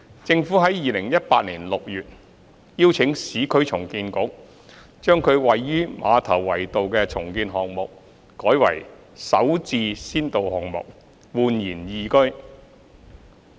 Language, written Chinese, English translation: Cantonese, 政府在2018年6月邀請市區重建局將其位於馬頭圍道的重建項目改為首置先導項目煥然懿居。, In June 2018 the Government invited the Urban Renewal Authority URA to assign its redevelopment project at Ma Tau Wai Road as an SH pilot project eResidence